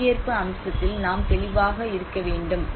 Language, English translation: Tamil, So we need to be clear on that participation aspect